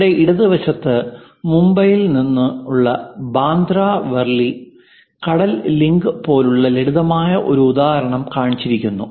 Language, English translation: Malayalam, Here, on the left hand side a simple example like Bandra Worli sea link from Mumbai is shown